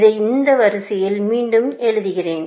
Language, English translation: Tamil, Let me rewrite this in this order